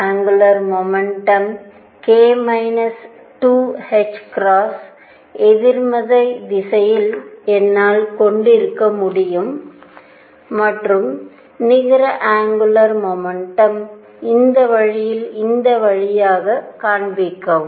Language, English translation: Tamil, I could also have the angular momentum k minus 2 h cross in the negative direction and the net angular momentum point in this way